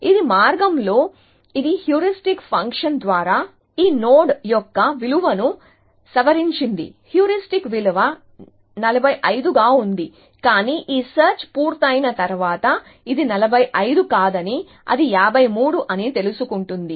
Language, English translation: Telugu, It just that on the way, it has revise the value of this node, the heuristic value has measure by the heuristic function was 45, but after is done this search, it realizes that it is not 45, it is 53